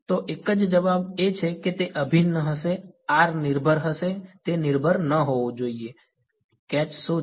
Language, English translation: Gujarati, So, one answer is that it will be the integral will be r dependent it should not be r dependent what is the catch